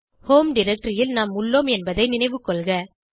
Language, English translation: Tamil, Remember that we are in the home directory